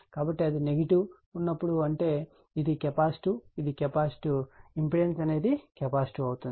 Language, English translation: Telugu, So, when it is minus means it is capacitive right, it is capacitive what you call impedance is capacitive